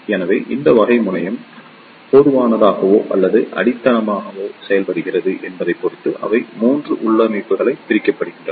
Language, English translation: Tamil, So, depending upon the type that which type of terminal is made common or grounded, they are divided into 3 configurations